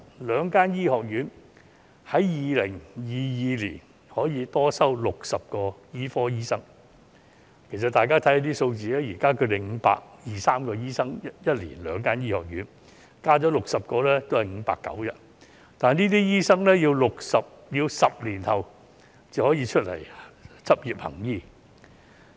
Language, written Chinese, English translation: Cantonese, 兩間醫學院在2022年可以多收60個醫科生，大家看看數字，現時兩間醫學院每年有520至530個醫科生學額，再加60個也只是590個，但這些醫科生要10年後才可以執業行醫。, The two medical schools can admit 60 more medical students in 2022 . If we look at the figures currently the two medical schools have 520 to 530 places each year . Even with the 60 additional places there will be 590 places only